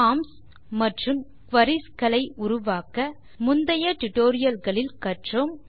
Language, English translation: Tamil, We learnt how to create forms and queries in the previous tutorials